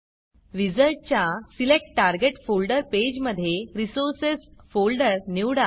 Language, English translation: Marathi, In the Select Target Folder page of the wizard, select the Resources folder